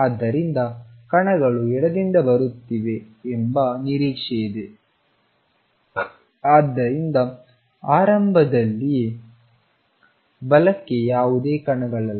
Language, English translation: Kannada, So, from the expectation that particles are coming from left; so, initially they are no particles to the right